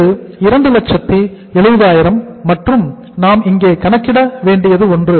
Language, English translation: Tamil, This is 270,000 and something we will have to calculate here